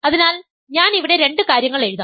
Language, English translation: Malayalam, So, I will write two things here